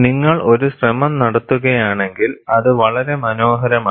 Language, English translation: Malayalam, If you make an attempt, it is very nice